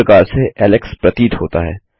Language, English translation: Hindi, This is how Alex appears